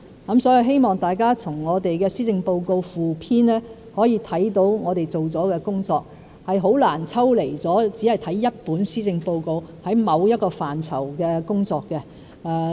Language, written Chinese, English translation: Cantonese, 我希望大家從施政報告附篇可以看到我們做了的工作，原因是很難抽離地只看一本施政報告便能了解某一個範疇的工作。, I hope you can learn about the work we have done from the Policy Address Supplement because it is difficult for one to just read the Policy Address and get a full picture about the work of a particular aspect